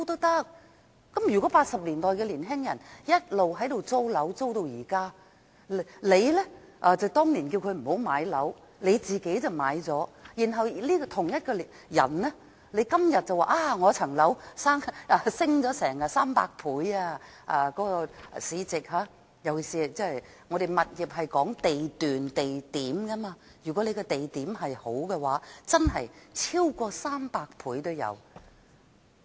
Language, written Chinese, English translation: Cantonese, 如果1980年代的年青人一直租住樓宇至今，而你當年叫他們不要買樓，自己卻買了，到了今天，你說自己的單位市值升了差不多300倍，尤其是物業是看地段或地區的，如果地區好的話，真的可以升值超過300倍。, If young people in the 1980s have been renting a home and you told them not to buy a flat but then you bought it yourself you would be saying today that the market value of your flat has increased by almost 300 times especially as the property value depends on the location or the district of the property and if it is in a good district its value can really increase by over 300 times